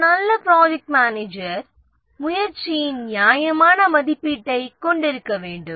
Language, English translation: Tamil, A good project manager should have reasonable estimate of the effort